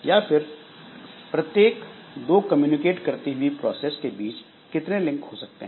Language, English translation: Hindi, Then how many links can there be between every pair of communicating processes